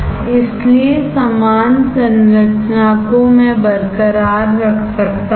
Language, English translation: Hindi, So, the same structure I can retain